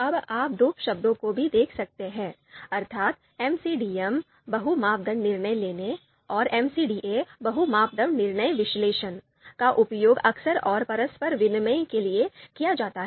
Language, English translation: Hindi, Now you might also see that often these two terms MCDM, multi criteria decision making, and MCDA, multi criteria decision analysis, these terms are used you know quite often they are used interchangeably